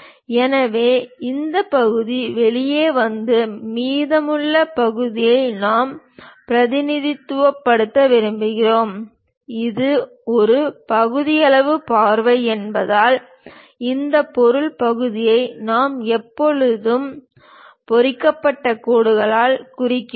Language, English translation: Tamil, So, this part comes out and the remaining part we represent; because it is a sectional view, we always have this material portion represented by hatched lines